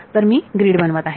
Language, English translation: Marathi, So, I make a grid